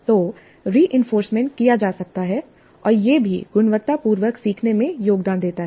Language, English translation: Hindi, So reinforcement can be done and that is also found to be contributing to quality learning